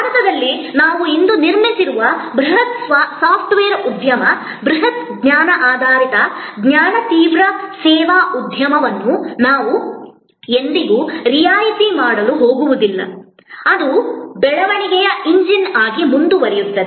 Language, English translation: Kannada, We are never going to discount the huge software industry, the huge knowledge based knowledge intensive service industry, that we have build up today in India, that will continue to be a growth engine